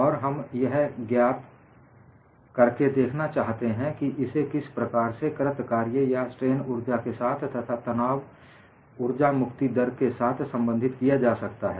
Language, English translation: Hindi, And we want to find out how this could be related to the work done or strain energy, and the energy release rate